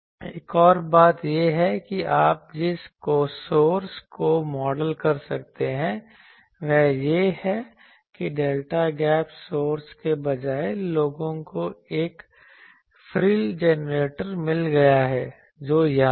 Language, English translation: Hindi, Another thing is the source also you can model that the instead of a delta gap source you can also have a people have found one frill generator that is here